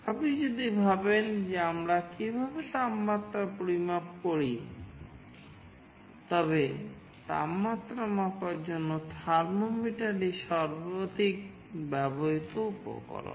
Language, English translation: Bengali, If you think of how we measure temperature, thermometer is the most widely used instrument for temperature sensing